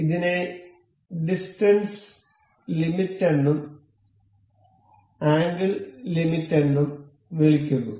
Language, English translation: Malayalam, the This is called distance limit and this is called a angle limit